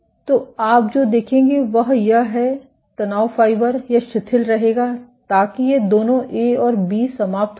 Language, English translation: Hindi, So, what you will see is this stress fiber it will relax so both these ends A and B